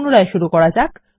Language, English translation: Bengali, There we restart